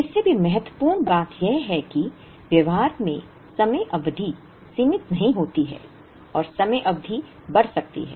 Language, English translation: Hindi, More importantly, in practice the time periods are not finite and time periods can extend